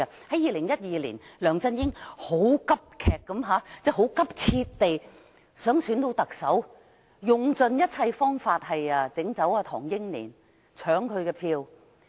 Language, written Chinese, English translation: Cantonese, 在2012年，梁振英很急切地想當選特首，用盡一切方法弄走唐英年，搶他的票。, In 2012 LEUNG Chun - ying was keen to be elected as the Chief Executive and he exhausted all means to get rid of Henry TANG and to snatch his votes